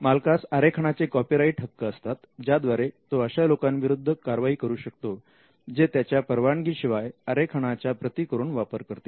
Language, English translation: Marathi, The owner has a copyright in the design, which means the owner can take action against other people who make copies of it without his consent